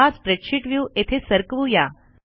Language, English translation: Marathi, lets move the spreadsheet view here